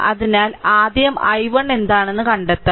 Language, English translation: Malayalam, So, first you have to find out what is i 1